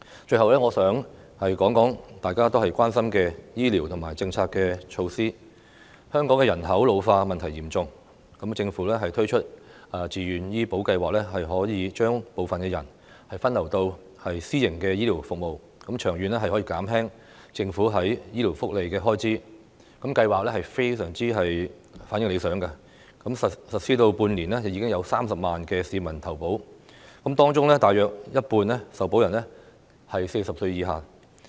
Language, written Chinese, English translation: Cantonese, 最後，我想談談大家都關心的醫療政策及措施，香港的人口老化問題嚴重，政府推出自願醫保計劃，可以將部分人分流到私營的醫療服務，長遠可以減輕政府在醫療福利的開支，計劃的反應非常理想，實施半年，已經有30萬名市民投保，當中大約有一半受保人是40歲以下。, As the problem of population ageing in Hong Kong is serious the Government has introduced the Voluntary Health Insurance Scheme . Under this Scheme some people can be diverted to private health care services thereby reducing the Governments expenditure on health care benefits in the long run . The Scheme has been favourably received